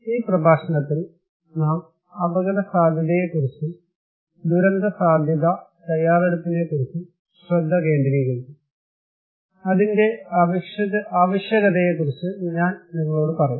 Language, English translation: Malayalam, In this lecture, we will focus on risk perception and disaster risk preparedness, I will tell you that why we need